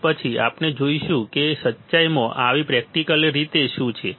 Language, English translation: Gujarati, And then we will see that in truth or practically what is the case